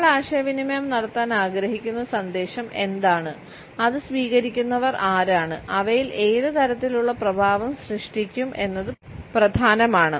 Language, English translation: Malayalam, What exactly is the message which we want to communicate, who are the recipients of it and what type of effect would be generated in them